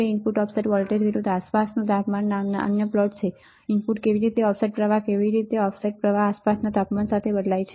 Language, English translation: Gujarati, There are another plots called input offset voltage versus ambient temperature, how input offset current, how input offset current changes with ambient temperature